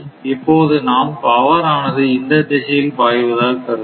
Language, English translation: Tamil, Now suppose we will assume the power is flowing in this direction the power is flowing in this direction right